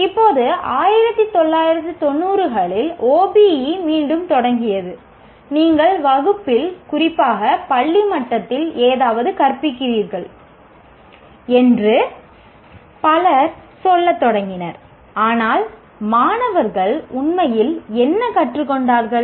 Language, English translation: Tamil, Now the OBE started back in 90s when many people started saying that okay that, okay, you're teaching something in the class, especially at the school level